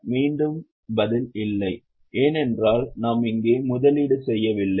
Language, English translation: Tamil, Again the answer is no because we are not making investments here